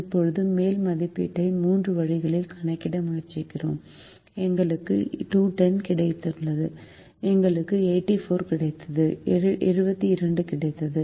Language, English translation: Tamil, now we have tried to calculate the upper estimate in three ways and we got two hundred and ten, we got eighty four, we got seventy two